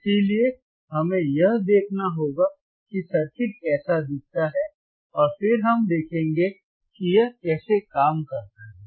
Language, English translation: Hindi, So, we have to see we have to see how the circuit looks like and then we will see how it works ok